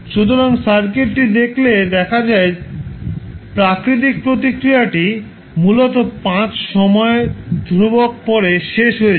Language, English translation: Bengali, So, when you will see the circuit the natural response essentially dies out after 5 time constants